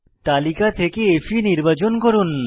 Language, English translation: Bengali, Select Fe from the list